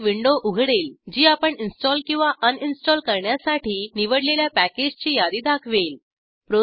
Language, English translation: Marathi, A window will open which will list the number of packages you have chosen to install or uninstall